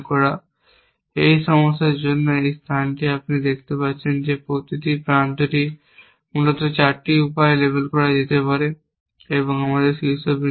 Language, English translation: Bengali, So, object in the task is to find this labels essentially, now this space for this problem you can see is that each edge can be label in 4 ways essentially and we in vertices